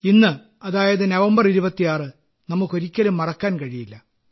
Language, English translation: Malayalam, But, we can never forget this day, the 26th of November